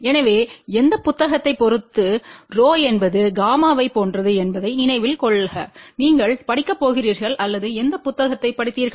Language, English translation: Tamil, So, you just please remember rho is same as gamma depending upon which book you are going to read or which book you read